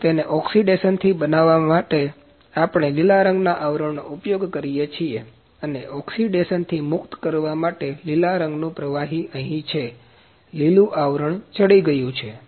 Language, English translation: Gujarati, And to prevent it from oxidation, we use green coating and green liquid is here to make it free from oxidation that is, green coating is happening